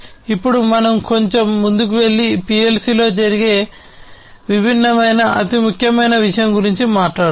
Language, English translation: Telugu, Now, let us go little further and talk about the different, the most important thing that happens in a PLC